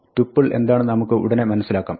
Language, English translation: Malayalam, And we will see in a minute what a tuple is